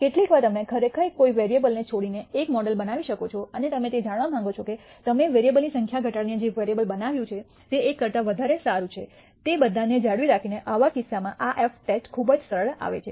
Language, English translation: Gujarati, Sometimes you might actually build a model by dropping a variable and you want to know whether the model you have built by reducing the number of variables is better than the 1, that by retaining all of them, in such a case this f test comes in very handy